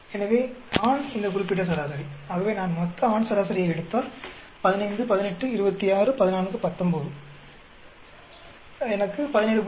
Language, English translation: Tamil, So, male this particular average; so if I take the entire male average 15, 18, 26, 14, 19 whole lot I will get 17